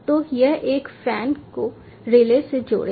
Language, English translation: Hindi, ah, fan is connected to the relay